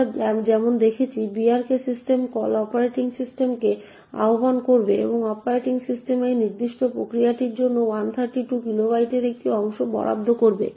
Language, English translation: Bengali, As we have seen the brk system call would invoke the operating system and the operating system would allocate a chunk of 132 kilobytes for this particular process